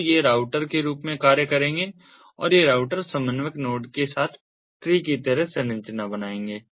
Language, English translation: Hindi, so these will act as routers and this routers will form a tree like structure with the coordinator node